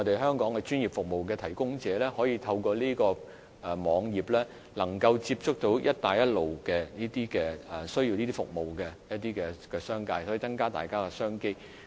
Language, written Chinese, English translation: Cantonese, 香港專業服務的提供者，亦都可以透過這個網頁接觸到"一帶一路"國家中需要其服務的商界人士，以增加商機。, Through this website providers of professional services in Hong Kong can also get in touch with members of the business sectors in Belt and Road countries who need their services in order to expand their business opportunities